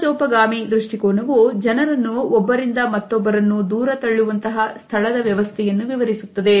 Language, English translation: Kannada, Sociofugal describes those space arrangements that push people apart away from each other